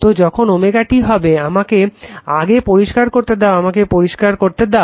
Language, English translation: Bengali, So, when omega t let me clear it let me clear it